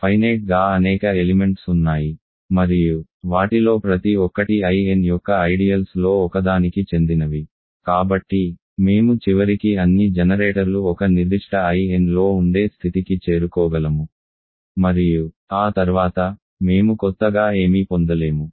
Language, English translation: Telugu, Because there are finitely many elements and each of them belongs to one of the ideals I n, we can eventually reach a point where all the generators are in one particular I n and then after that, we get nothing new you get just the ideal I